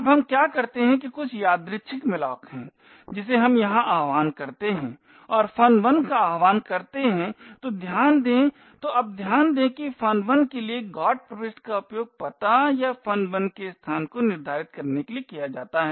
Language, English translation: Hindi, Now what we do is some arbitrary malloc we invoke here and invoke function 1, so note that so now note that the GOT entry for function 1 is used to determine the address or the location of function 1